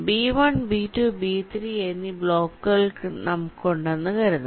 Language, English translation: Malayalam, let say a block b one and a block b two